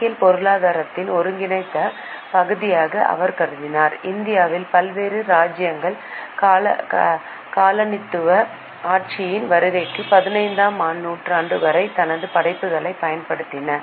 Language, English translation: Tamil, He considered accounting to be integral part of economics and various kingdoms in India used his work until the 15th century before the advent of colonial rule